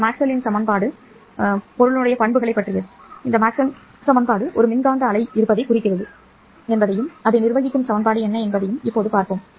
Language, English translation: Tamil, Now let us see how this Maxwell's equation imply that there is an electromagnetic wave and what is the equation that governs that one